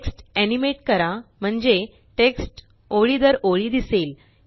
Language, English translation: Marathi, Animate the text so that the text appears line by line